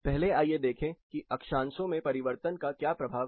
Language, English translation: Hindi, First let us look at what is the impact of change in latitudes